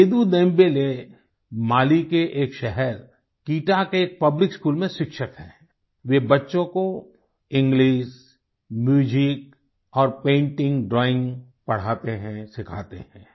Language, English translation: Hindi, Sedu Dembele, is a teacher in a public school in Kita, a town in Mali, and teaches English, Music, Painting, and drawing